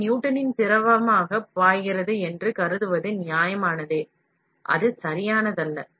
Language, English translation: Tamil, It is reasonable to assume that the material flows as a Newtonian fluid, which is not correct